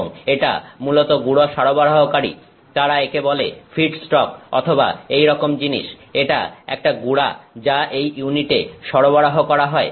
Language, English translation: Bengali, And, it is basically powder supply, they call it the feedstock or things like that it is a powder that is being supplied to this unit